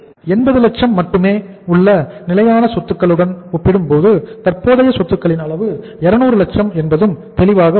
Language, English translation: Tamil, And it is clear also because we have the level of current assets is 200 lakhs as compared to the fixed assets that is only 80 lakhs